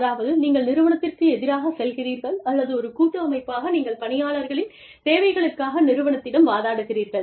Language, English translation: Tamil, And, you know, go against the organization, or go as a collective body, to the organization, to argue for their needs